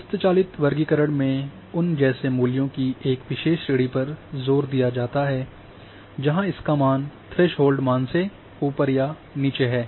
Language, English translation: Hindi, Manual classification is done to emphasize a particular range of values such as those above or below threshold value